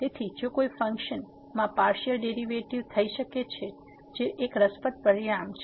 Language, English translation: Gujarati, So, if a function can have partial derivative that is a interesting result